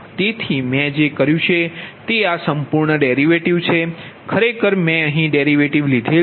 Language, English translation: Gujarati, so what i have done is this whole derivative